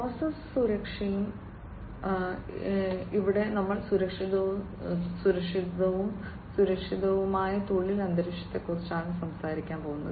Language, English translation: Malayalam, Process safety and security, here we are talking about safe and secure working environment